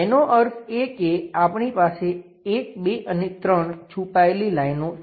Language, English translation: Gujarati, That means; we have 1, 2 and 3 hidden lines we have it